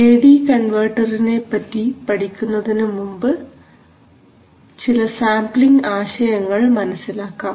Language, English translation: Malayalam, Now before we look at the A/D converter let us take a look at some sampling concepts